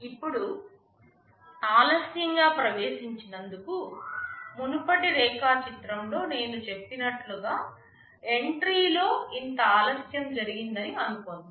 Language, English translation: Telugu, Now, for delayed entry as I had said in the previous diagram, suppose there is a delay in the entry by this much